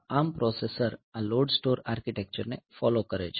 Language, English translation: Gujarati, So, this ARM processor they are following this LOAD STORE architecture